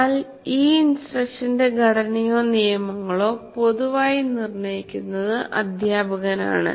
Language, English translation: Malayalam, But the structure are the rules of these instructional conversations are generally determined by the teacher